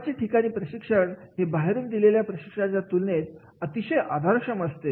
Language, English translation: Marathi, On the job training will be more supportive as compared to off the job training is there